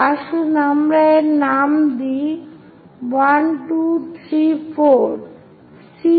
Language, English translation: Bengali, Let us name it points 1, 2, 3, 4